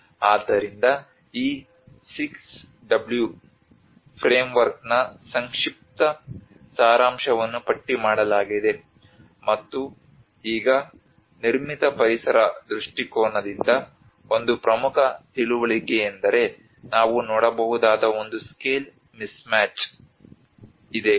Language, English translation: Kannada, So there is a brief summary of this whole 6w framework has been listed out and now one of the important understanding from a built environment perspective what we can see is there is a scale mismatches